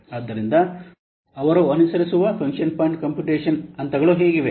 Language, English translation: Kannada, So this is how the function point computation steps they follow